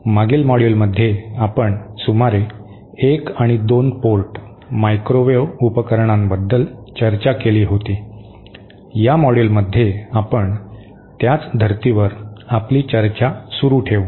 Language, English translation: Marathi, In the previous module we had discussed about 1 and 2 port microwave devices, in this module we will continue our discussion on the same lines